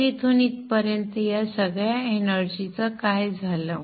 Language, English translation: Marathi, So what has happened to all this energy lost from here to here